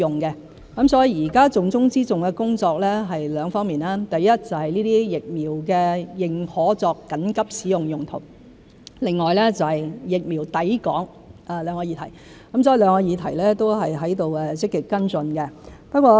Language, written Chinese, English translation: Cantonese, 現時重中之重的工作是兩方面，第一，就是認可這些疫苗作緊急使用用途；另外是疫苗抵港，兩個議題都正在積極跟進。, The top priority right now is twofold . The first is the emergency use authorization of these vaccines and the other is the arrival time of vaccines both of which are being actively pursued